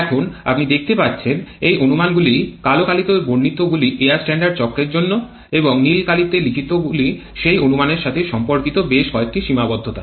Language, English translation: Bengali, Now there you can see these are the assumptions the one written in black are the ones that are considered in air standard cycles and the one written in blue are several limitations corresponding to those assumptions